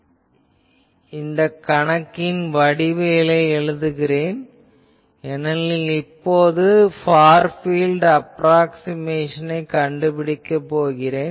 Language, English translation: Tamil, So, I now write the this geometry of the problem again because now, I will make a Far field approximation